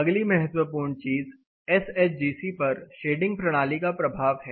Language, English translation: Hindi, The next important thing is the effect of shading system on SHGC